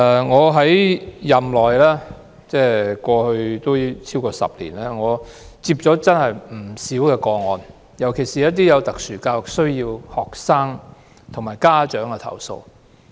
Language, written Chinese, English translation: Cantonese, 我擔任議員超過10年，收過不少投訴個案，尤其是有特殊教育需要的學生和家長的投訴。, I have been a Member for more than 10 years and have received many complaints especially complaints from students with special educational needs SEN and their parents